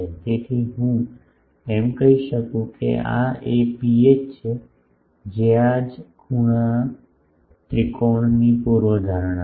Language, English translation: Gujarati, So, I can say that this is the rho h is the hypotenuses of this right angle triangle